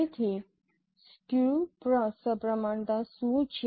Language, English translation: Gujarati, So what is skew symmetric